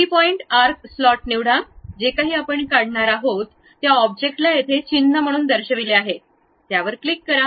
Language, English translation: Marathi, Pick three point arc slot, the object whatever the thing we are going to draw is shown here as icon, click that one